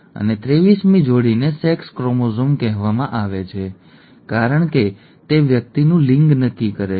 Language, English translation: Gujarati, And the 23rd pair is called the sex chromosome because it determines sex of the person